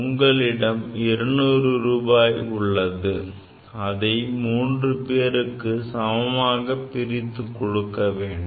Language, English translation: Tamil, You have 200 rupees and you want to divide equally among the three people